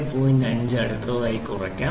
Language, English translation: Malayalam, 5 will be the next one I subtract